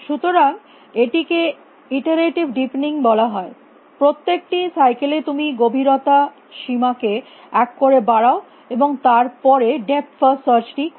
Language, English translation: Bengali, So, this call this is call iterative deepening in every cycle you increase a depth bound by one, and then do a depth first search